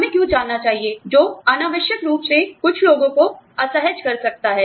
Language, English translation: Hindi, You know, that can unnecessarily make some people, uncomfortable